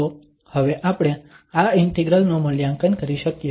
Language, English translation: Gujarati, So, this integral we can now evaluate